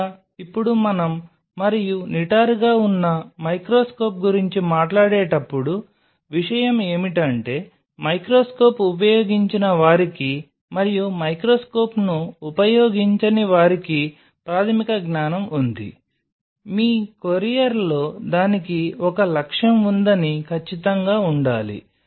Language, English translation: Telugu, Or now when we talk about and upright microscope the thing is that those who have used microscope and those who have in used the microscope you have the basic knowledge that in your courier must have right it that it has an objective